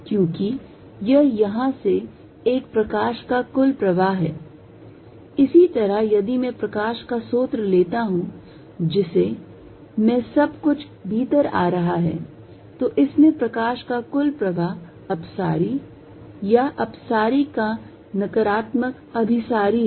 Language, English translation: Hindi, Because, this is a net flow light from here, similarly if I source of light in which everything is coming in there is a net flow of light in this is also divergent or negative of divergent convergent